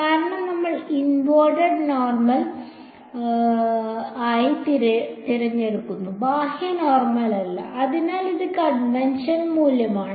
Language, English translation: Malayalam, Because we choose n cap as the inward normal not outward normal, so this was due to convention